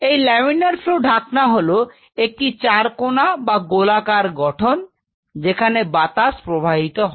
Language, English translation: Bengali, Laminar flow hood is essentially rectangular or circular structure which where the airs